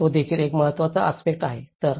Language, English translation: Marathi, So, that is also one of the important aspects